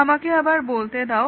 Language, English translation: Bengali, Let me repeat that again